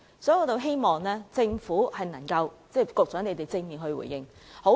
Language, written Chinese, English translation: Cantonese, 因此，我希望政府和局長作出正面回應。, Hence I hope that the Government and the Secretary will give a positive response